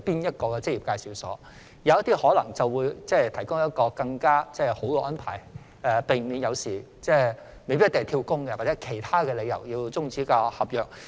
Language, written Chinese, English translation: Cantonese, 有些職業介紹所可能會提供更好的安排，避免外傭因"跳工"或其他理由而要終止合約。, Some EAs may provide better arrangement to prevent FDHs from terminating their employment contracts due to job - hopping or other reasons